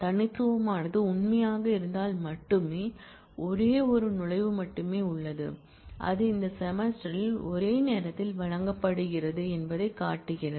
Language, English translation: Tamil, unique will be true only if; there is only one entry which shows that it is offered at most once in that semester